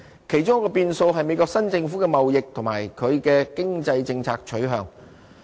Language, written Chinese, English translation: Cantonese, 其中一個變數是美國新政府的貿易及它的經濟政策取向。, One variable is the policy stance of the new government in the United State in relation to trade and economy